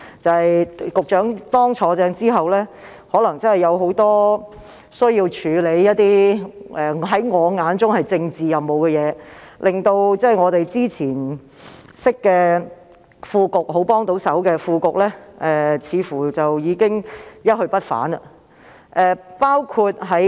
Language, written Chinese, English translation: Cantonese, 在局長正式上任後，他可能需要處理一些在我眼中屬政治任務的工作，令我們以往認識、很熱心的副局長似乎已一去不返。, After the Secretary formally took his office he may have to tackle some tasks that in my opinion are political missions . Thus it seems that the very zealous Under Secretary who we knew in the past has gone